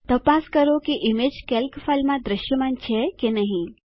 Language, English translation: Gujarati, Check if the image is visible in the Calc file